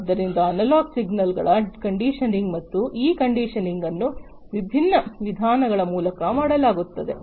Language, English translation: Kannada, So, conditioning of the analog signals and this conditioning is done through different means